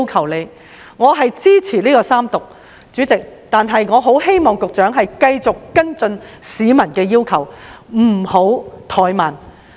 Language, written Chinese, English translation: Cantonese, 主席，我支持三讀《條例草案》，但同時極希望局長能繼續跟進市民的要求，不要怠慢。, President I support the Third Reading of the Bill but very much hope at the same time that the Secretary will continue to follow up on the requests of the people without delay